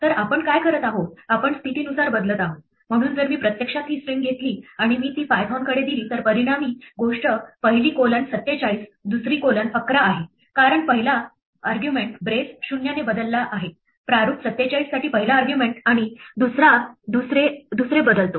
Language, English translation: Marathi, So what we are doing is, we are replacing by position, so if I actually take this string and I pass it to python the resulting thing is first colon 47, second colon 11, because the first argument, the brace 0 is replaced by the first argument to format 47 and the second replaces the second